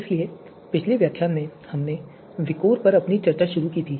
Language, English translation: Hindi, So in the previous lecture we started our discussion on VIKOR